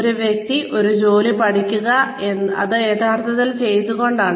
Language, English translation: Malayalam, Having a person, learn a job, by actually doing it